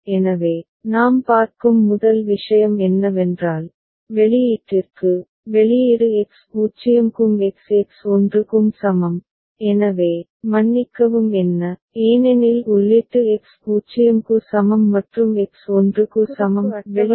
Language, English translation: Tamil, So, first thing that we see is that for the output, for the output X is equal to 0 and X is equal to 1, so, what are the sorry, for input X is equal to 0 and X is equal to 1; what are the outputs ok